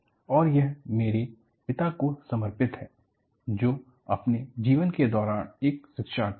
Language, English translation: Hindi, And, this is dedicated to my father, who was a learner all through his life